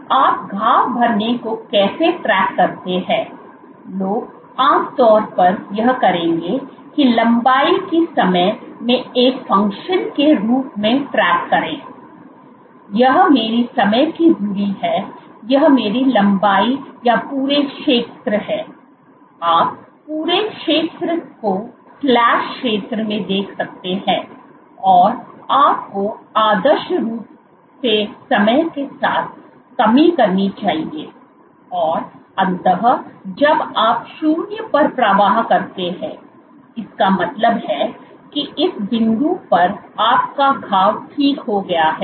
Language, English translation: Hindi, So, how do you track wound healing what people would typically do is the track this length as a function of time this is my time axis this is my length or the entire area, you can look at the entire area slash area and you should ideally have decrease with time and eventually when you strike zero; that means, that at this point your wound is healed